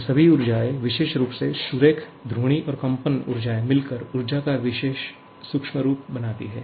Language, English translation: Hindi, So, all these translational, rotational and vibrational energies combined leads to this microscopic form of energy